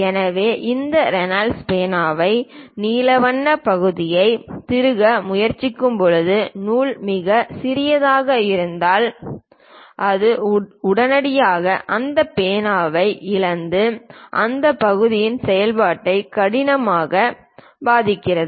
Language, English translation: Tamil, So, when you are trying to screw this Reynolds ah pen the blue color part, if the thread is too small it immediately loses that pen and the functionality of the part severely affects